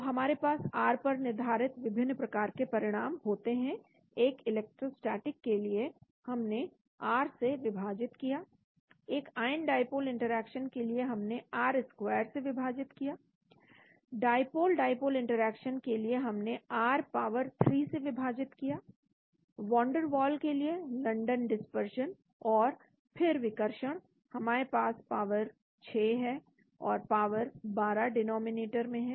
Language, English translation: Hindi, So we have different types of effect based on r for an electrostatic we have divided by r, for ion dipole interaction we have divided by r squared, for dipole dipole interaction we have divided by r power 3, for van der waal, London dispersion and then and repulsion we have a power 6 and power 12 in the denominator